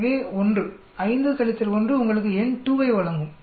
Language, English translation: Tamil, So 1, 5 minus 1 will give you n2